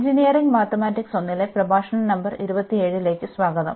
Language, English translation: Malayalam, So, welcome back to the lectures on Engineering Mathematics 1, and this is lecture number 27